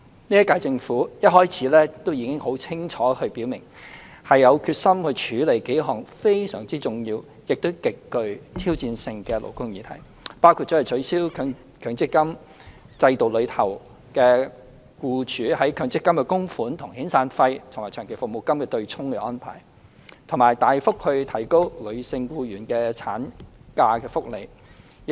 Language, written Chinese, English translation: Cantonese, 現屆政府一開始便已清楚表明，有決心處理數項非常重要亦極具挑戰性的勞工議題，包括取消強制性公積金制度下僱主的強制性供款與遣散費及長期服務金的對沖安排，以及大幅提高女性僱員的產假福利。, The incumbent Government has expressly stated at the outset that it has the determination to tackle a number of very important and highly challenging labour issues including the abolition of the arrangement for offsetting severance payment and long service payment with employers mandatory contributions under the Mandatory Provident Fund scheme and the significant increase in female employees maternity benefits